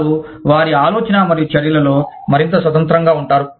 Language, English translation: Telugu, They are more independent, in their thought and action